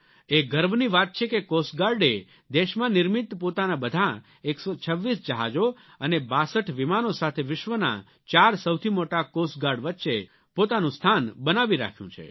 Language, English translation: Gujarati, It is a matter of pride and honour that with its indigenously built 126 ships and 62 aircrafts, it has carved a coveted place for itself amongst the 4 biggest Coast Guards of the world